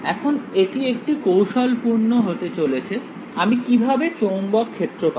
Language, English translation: Bengali, Now this is going to be a little bit tricky, how do I get the magnetic field now